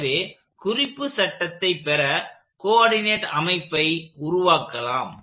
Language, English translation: Tamil, So, just to lay the coordinate system down to get our reference frame